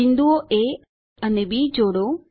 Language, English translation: Gujarati, Join points A, D and A, E